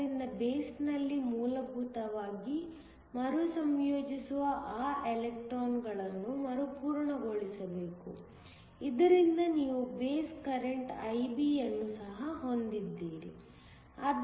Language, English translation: Kannada, So, those electrons that essentially recombine in the base have to be replenished, so that you also have a base current IB